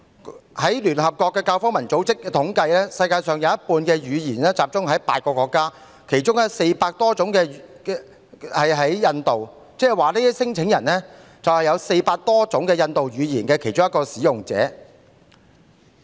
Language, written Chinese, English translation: Cantonese, 根據聯合國教育、科學及文化組織的統計，世界上有半數語言集中在8個國家，其中有400多種屬於印度，即是說這些聲請人是400多種印度語言的其中一種的使用者。, According to the statistics from the United Nations Educational Scientific and Cultural Organization half of the worlds languages are concentrated in eight countries and more than 400 of them belong to India . That is to say these claimants are the speakers of one of the 400 - odd Indian languages